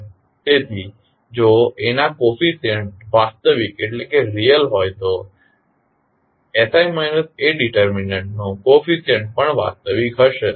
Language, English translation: Gujarati, So, coefficient of A are real then the coefficient of sI minus A determinant will also be real